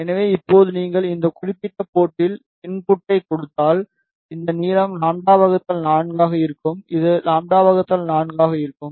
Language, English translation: Tamil, So, now if you give input at this particular port, this length will be pi lambda by 4 and this will be lambda by 4